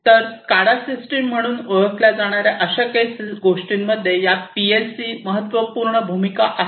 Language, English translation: Marathi, So, these PLC’s are very important in something known as the SCADA, SCADA systems, right